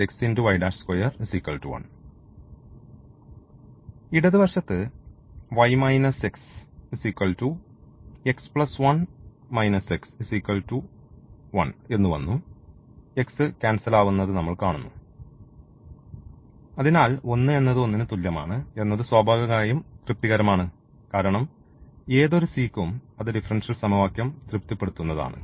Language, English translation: Malayalam, So, do we see the left hand side this x get cancelled, so 1 is equal to 1 so this is naturally satisfying, the differential equation because for any c that satisfy the differential equation